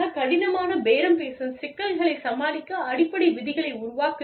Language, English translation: Tamil, Establish ground rules, to deal with, difficult bargaining issues